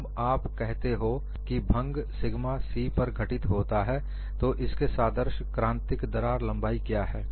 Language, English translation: Hindi, When you say, when fracture occurs at sigma c, what is the corresponding critical crack length